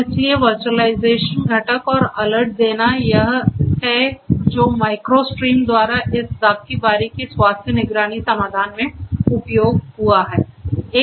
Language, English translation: Hindi, And so interaction with the visualization component and generation of alerts this is what is supported in this vineyard health monitoring solution by micro stream